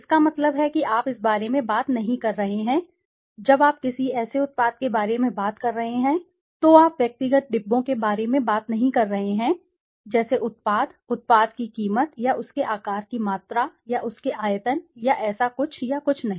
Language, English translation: Hindi, That means you are not talking about, when you are talking about a product you are not talking about individual compartments, like the product, the value of the cost of the product or the amount of its size or its volume or something or nothing like that